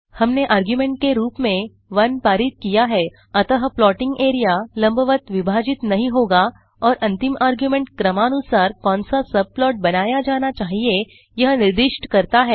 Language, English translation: Hindi, We passed 1 as the argument so the plotting area wont be split vertically and the last argument specifies what subplot must be created now in order of the serial number